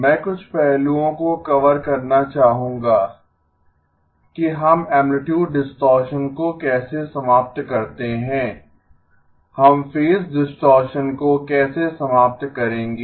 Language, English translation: Hindi, I would like to cover some aspects of how do we eliminate amplitude distortion, how will we eliminate phase distortion